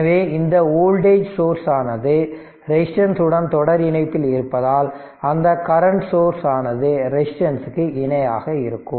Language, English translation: Tamil, So, because it is voltage source is in series resistance, there it will be current source in parallel with the resistance